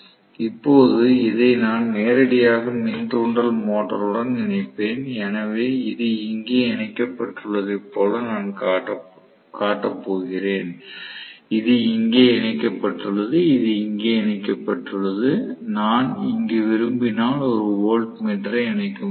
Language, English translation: Tamil, Now, I will connect this directly to the induction motor, so I am going to show as though this is connected here, this is connected here this is connected here I can connect a voltmeter if I want here, of course, I should have connected an ammeter which I missed, of course, ammeter should come definitely